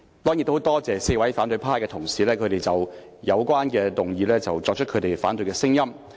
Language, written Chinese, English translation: Cantonese, 當然，我也很多謝4位反對派同事就有關議案表達反對聲音。, Certainly I also thank the four opposition colleagues for their voices of opposition to the relevant motion